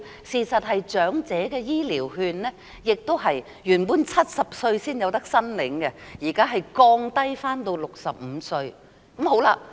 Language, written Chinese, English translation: Cantonese, 事實上，長者醫療券原本亦是70歲才可申領，現時已降至65歲。, As a matter of fact Elderly Health Care Vouchers are initially provided for those aged 70 or above but the age threshold has already been lowered to 65 years old nowadays